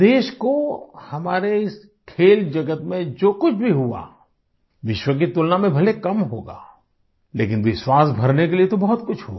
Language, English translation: Hindi, Whatever our country earned in this world of Sports may be little in comparison with the world, but enough has happened to bolster our belief